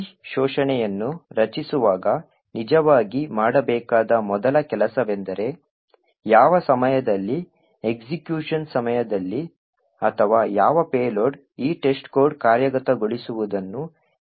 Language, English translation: Kannada, The first thing to actually do when creating this expert is to identify at what point during execution or what payload would actually cause this test code to stop executing